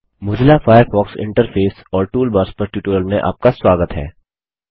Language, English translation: Hindi, Welcome to the Spoken Tutorial on the Mozilla Firefox Interface and Toolbars